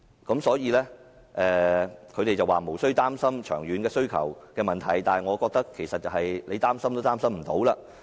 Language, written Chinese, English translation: Cantonese, 他們表示無須擔心長遠需求的問題，但我覺得其實是擔心也擔心不來。, They said that long - term demand is not a worry but I think it is actually pointless to worry about it